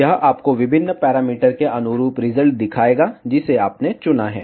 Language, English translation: Hindi, It will show you the results corresponding various parameters, which you have chosen